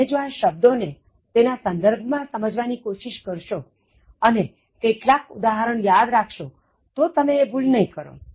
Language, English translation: Gujarati, If you try to understand the words by keeping them in the context and remembering some examples, you will not commit the mistake